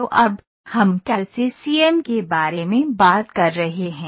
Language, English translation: Hindi, So now what are we talking about CAD to CAM, link we are talking about